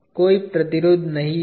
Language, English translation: Hindi, There is no resistance offered